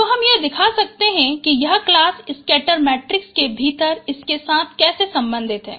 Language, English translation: Hindi, So we can show how it is related with this within the class scatter matrix